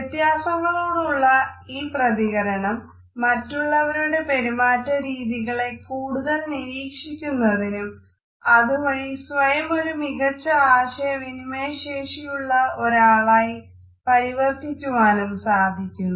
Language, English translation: Malayalam, So, this sensitivity to these differences would make us more observant of the behavior of other people and would turn us into a more effective person in our communication because it would enable us to have a better empathy